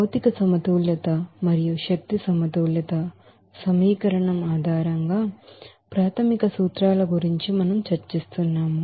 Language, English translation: Telugu, We are discussing about that basic principles based on material balance and energy balance equation